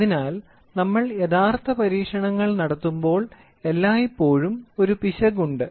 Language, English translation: Malayalam, So, when we do in real time experiments there is always an error